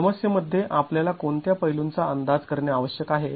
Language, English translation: Marathi, what are the aspects that we need to estimate in the problem